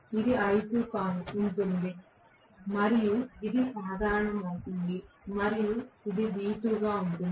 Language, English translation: Telugu, This is going to be l2 and this is going to be common and this is going to be v2